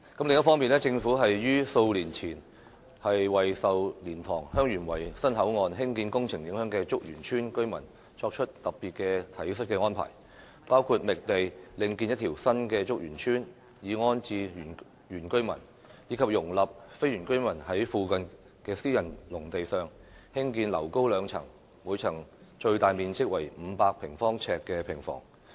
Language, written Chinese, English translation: Cantonese, 另一方面，政府於數年前為受蓮塘/香園圍新口岸興建工程影響的竹園村居民作出特別的體恤安排，包括覓地另建一條新竹園村以安置原居民，以及容許非原居民在附近私人農地上興建樓高兩層、每層最大面積為500平方呎的平房。, On the other hand the Government made special compassionate arrangements several years ago for the villagers of Chuk Yuen Village who were affected by the project for construction of a new boundary control point at LiantangHeung Yuen Wai . Such arrangements included identifying an alternative site for building a new Chuk Yuen Village to rehouse the indigenous villagers IVs and allowing the non - indigenous villagers non - IVs to build on nearby private agricultural land a two - storey cottage house with a maximum area of 500 square feet per floor